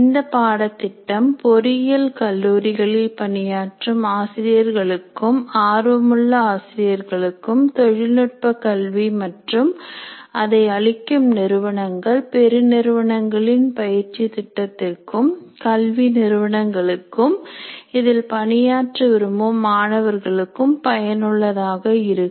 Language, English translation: Tamil, And this course, as we mentioned earlier, will be useful to working teachers in engineering colleges, aspiring teachers, graduate students who wish to make careers in education technology, and also companies offering education technologies and training programs to corporates, educational institutes, teachers and students